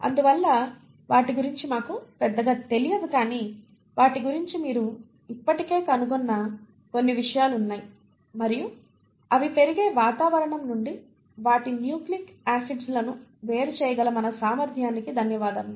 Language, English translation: Telugu, And hence we do not know much about them but there are a few things which you have still figured out about them and thatÕs thanks to our ability to at least isolate their nucleic acids from the environment in which they grow